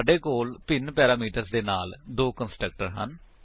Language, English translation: Punjabi, We have two constructor with different parameter